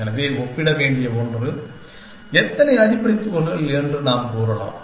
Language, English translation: Tamil, So, as something to compare with, we can say how many fundamental particles